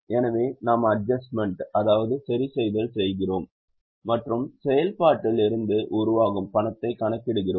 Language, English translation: Tamil, So, we are making adjustment and calculating cash generated from operation